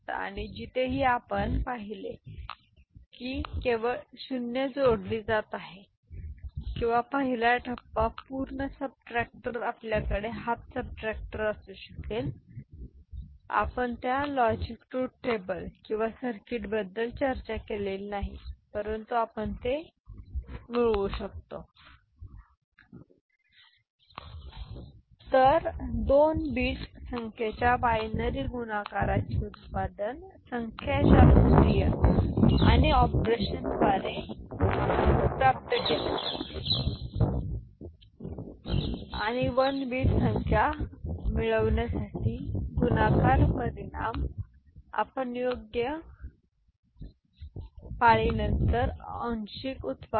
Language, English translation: Marathi, And wherever you have seen that only 0 is getting added or the first stage, instead of full subtractor we can have half subtractor right we have not discussed that logic truth table or the circuit, but we can similarly get it, fine